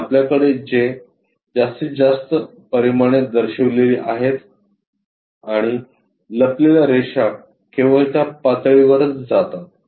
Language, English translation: Marathi, And we have this maximum dimensions represented here and the hidden lines goes only at that level